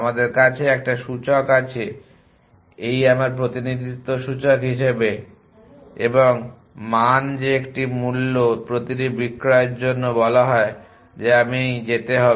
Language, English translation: Bengali, That we haven index this is as index in my representation and the value that is a told for each sell in the value that I would go